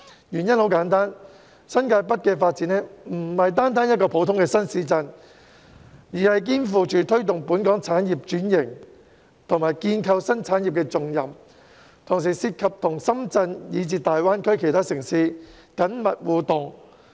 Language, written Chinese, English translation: Cantonese, 原因很簡單，新界北發展不僅是一個新市鎮的發展，更肩負推動本港產業轉型及建構新產業的重任，同時亦涉及與深圳以至大灣區其他城市的緊密互動。, The reason is simple . The development of New Territories North is more than developing a new town but also shoulders the responsibility of promoting the transformation of industries and the development of new industries . In addition it also warrants close interaction with Shenzhen and other GBA cities